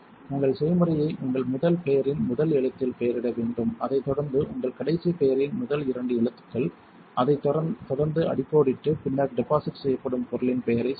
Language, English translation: Tamil, You should name your recipe by the first letter of your first name followed by the first two letters of your last name, followed by an underscore and then abbreviate the name of the material that is being deposited